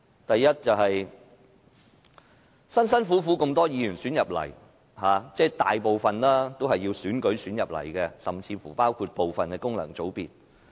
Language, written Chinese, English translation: Cantonese, 第一，多位議員幾經辛苦獲選進入議會，即大部分議員都是經選舉晉身立法會，甚至包括部分功能界別。, First a number of Members worked so hard to be elected to the Council meaning the majority of Members joined the Legislative Council through elections even including some functional constituency Members